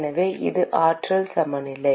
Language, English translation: Tamil, So this is the energy balance